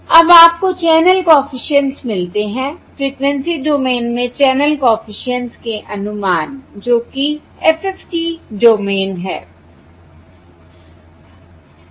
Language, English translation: Hindi, Now you get the channel coefficients, estimates of the channel coefficients in the frequency domain, that is the FFT domain